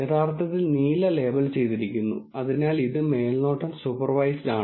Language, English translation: Malayalam, The blue are actually labeled, so this is supervised